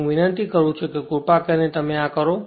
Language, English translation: Gujarati, I am not doing it I request you please do this right